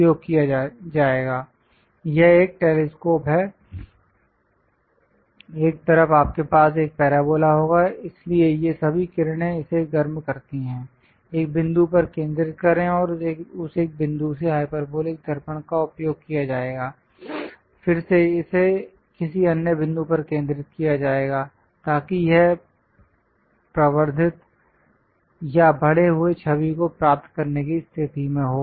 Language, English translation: Hindi, This is a telescope, on one side you will have a parabola; so all these rays comes heats that, focus to one point and from that one point hyperbolic mirror will be used, again it will be focused at some other point so that it will be amplified or enlarged image one will be in position to get